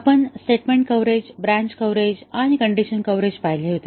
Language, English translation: Marathi, We had seen the statement coverage, branch coverage and condition coverage